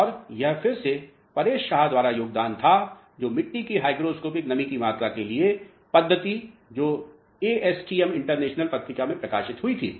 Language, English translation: Hindi, And, this was the contribution again by Paresh Shah, the methodology for determination of hydroscopic moisture content of soils which was published in journal of ASTM international